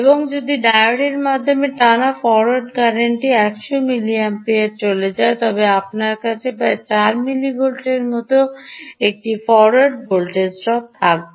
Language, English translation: Bengali, and if the forward current, the current drawn through the diode, goes up to hundred milliamperes, then you will have a forward voltage drop of about eight millivolts